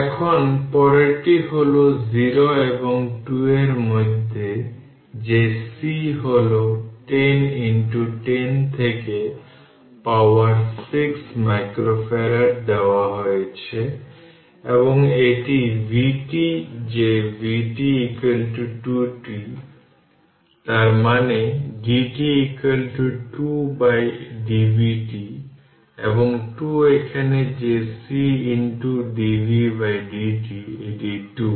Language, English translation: Bengali, Now, next one is that in between 0 and 2 that is C is 10 into 10 to the power minus 6 micro farad it is given and it is your vt that your vt is is equal to 2 t; that means, my dvt by dt is equal to 2 and that 2 is here that 2 is here that C into dv by dt right it is 2